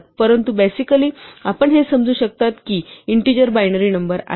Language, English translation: Marathi, They are just written as integers in binary notation